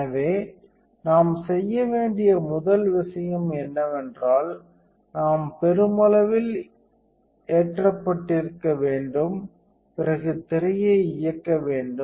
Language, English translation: Tamil, So, the first thing we do is though we have to have a mass loaded and then we turn the screen on